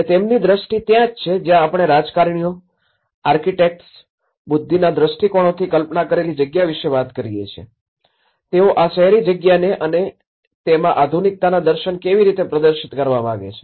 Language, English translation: Gujarati, And his vision like that is where we talk about a conceived space of the visionaries of the politicians, of the architects, of the intellect, how they want to perceive this space, the urban space and how it has to showcase the visions of modernity